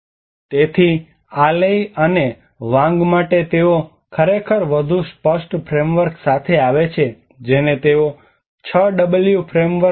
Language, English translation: Gujarati, So for this Lei and Wang they actually come up with more explicit frameworks they call about ì6w frameworkî